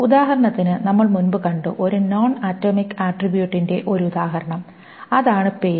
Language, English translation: Malayalam, For example, we saw an example of a non atomic attribute earlier, which is a name